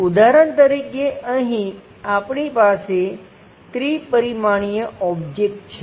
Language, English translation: Gujarati, For example, here we have a three dimensional object